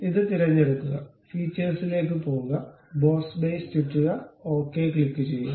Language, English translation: Malayalam, Select this one, go to features, revolve boss base, click ok